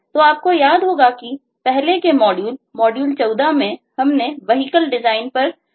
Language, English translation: Hindi, so you recall the kind of vehicle design we discussed about in the earlier module, the module 14